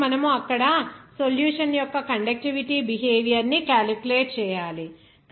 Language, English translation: Telugu, So, you have to calculate all those conductivity behavior of the solution there